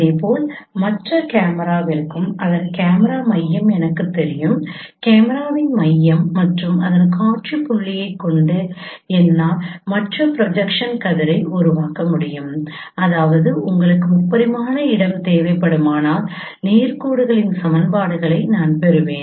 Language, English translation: Tamil, Similarly for the other camera I know its cause camera center center of the camera and its scene point I can form the other projection ray which means I would get the equations of straight lines in a three dimensional space